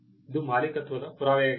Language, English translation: Kannada, It is proof of ownership